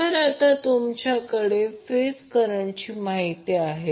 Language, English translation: Marathi, So now you have the phase current information